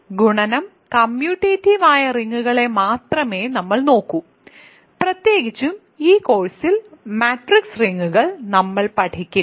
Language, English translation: Malayalam, So, for us we will only look at rings which were the multiplication is commutative in particular we will not study matrix rings in this course ok